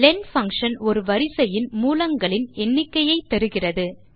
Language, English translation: Tamil, len function gives the no of elements of a sequence